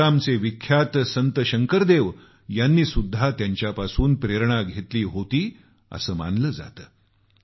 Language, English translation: Marathi, It is said that the revered Assamese saint Shankar Dev too was inspired by him